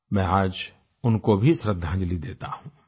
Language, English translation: Hindi, Today, I pay homage to her too